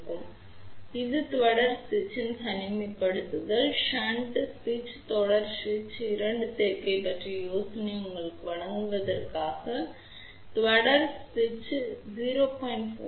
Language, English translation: Tamil, So, just to give you a little bit of an idea about insertion loss and isolation of series switch shunt switch and combination of series shunt switch, you can see ah for series switch insertion loss is of the order of 0